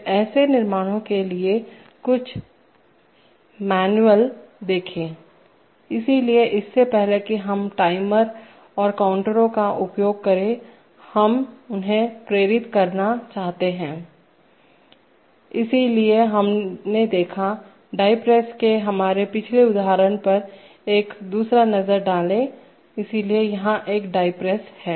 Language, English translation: Hindi, Then look up the particular manual for such constructs, so before we use timers and counters, we want to motivate them, so we looked, take a second look at our previous example of the die press, so here is a die press